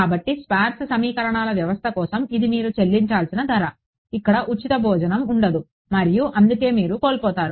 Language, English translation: Telugu, So, that is the price you get for a sparse system of equations there has to be there is no free lunch and that is why you lose out